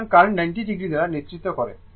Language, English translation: Bengali, So, current is leading 90 degree